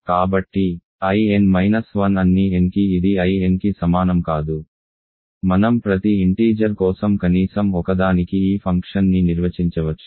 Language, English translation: Telugu, So, I n minus 1 is not equal to I n for all n, we can define this function for every integer at least one